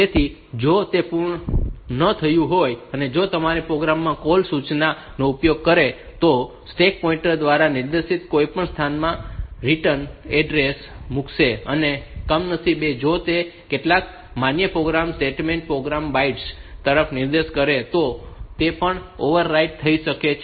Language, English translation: Gujarati, So, if that is not done, and your program uses the call instruction, then it will be putting those return addresses into whichever location pointed to by the stack pointer, and by even by unfortunately if that points to some valid program statements program bytes